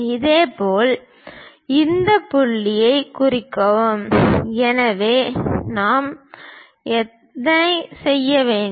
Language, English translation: Tamil, Similarly, this point mark, so how many we have to make